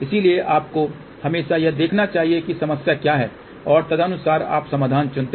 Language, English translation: Hindi, So, depending upon you should always see what is the problem and accordingly you choose the solution